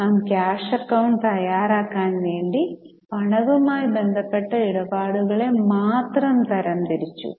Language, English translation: Malayalam, Since we want to prepare a cash account, we have classified only those transactions which are related to cash